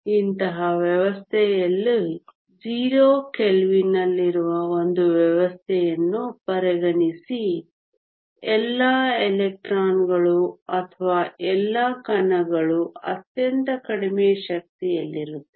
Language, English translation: Kannada, Consider a system that is at 0 kelvin in such a system all the electrons or all the particles are at the lowest energy